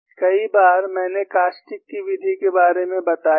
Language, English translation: Hindi, At times, I have also mentioned about the method of caustics